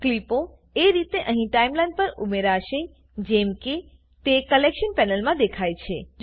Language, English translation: Gujarati, The clips will get added to the Timeline here in the order they appear in the Collection panel